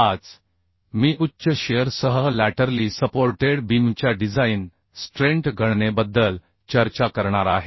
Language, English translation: Marathi, Today I am going to discuss about the design strength calculation of laterally supported beam with high shear